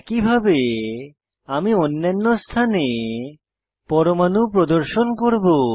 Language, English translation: Bengali, Likewise I will display atoms at other positions